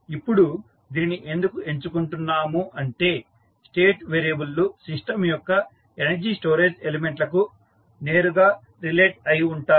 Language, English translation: Telugu, Now, why we are choosing this because the state variables are directly related to energy storage element of the system and in that L and C are considered to be the energy storage elements